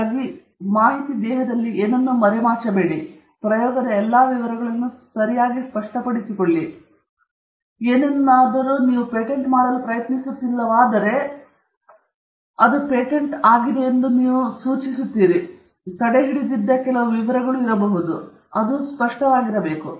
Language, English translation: Kannada, So, you hide nothing here, you make every detail of your experiment clear okay; unless you are trying to patent something, in which case, you indicate that it is being patented and there are some details which you have withheld, but that has to be very clear